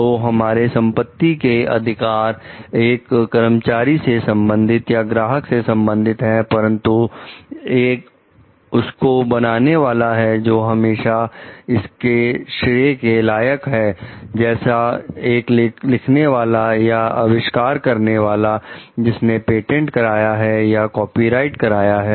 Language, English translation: Hindi, So, our other property rights belongs to the employer or the client, but still there is the creators still have deserve the credit as the authors or inventors of those patented or copyrighted creations